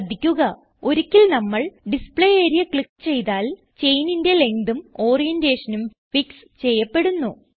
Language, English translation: Malayalam, Note once we click on the Display area, the chain length and orientation of the chain are fixed